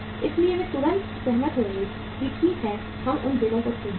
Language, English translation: Hindi, So they will immediately agree that okay we will discount these bills